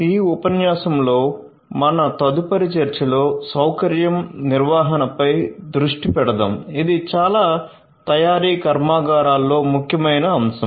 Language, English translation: Telugu, Our next discussion in this lecture will focus on facility management, which is a very important aspect in manufacturing plants